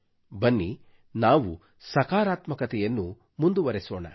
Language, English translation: Kannada, Come, let us take positivity forward